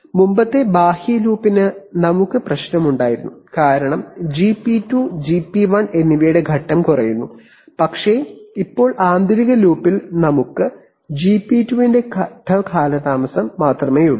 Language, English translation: Malayalam, Previously the outer loop we are having problem because the phase lags of GP2 and GP1 were actually adding up, but now in the inner loop we have only the phase lag of GP2 to take care of